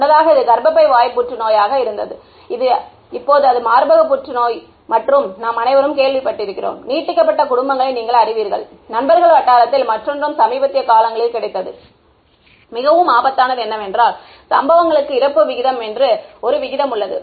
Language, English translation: Tamil, Earlier it used to be cervical cancer, now it is breast cancer and we have all heard amongst are you know extended families, in friends circle some one of the other has got it in recent times and what is very alarming is that there is a ratio called mortality to incidents